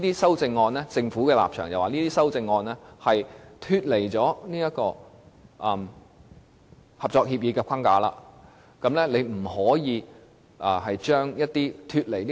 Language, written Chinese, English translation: Cantonese, 按照政府的立場，這些修正案脫離合作協議的框架，因此不能如此修訂《條例草案》。, According to the Governments position these amendments are beyond the framework of the Co - operation Agreement and so the Bill cannot be amended in this manner